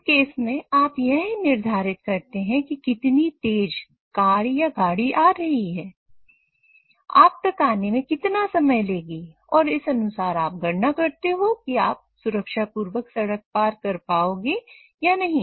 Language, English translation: Hindi, So in that case you try to predict how fast the car is coming, how much time would it take till it reaches you and accordingly you try to calculate whether you would be able to cross the road or not safely